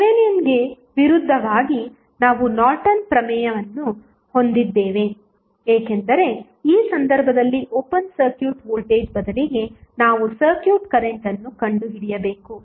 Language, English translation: Kannada, Opposite to the Thevenin's we have the Norton's theorem, because in this case, instead of open circuit voltage, we need to find out the circuit current